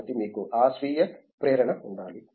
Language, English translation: Telugu, So, you need to have that self motivation